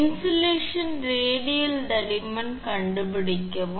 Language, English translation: Tamil, Also find the radial thickness of insulation